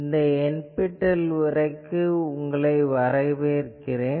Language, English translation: Tamil, Welcome to this NPTEL lecture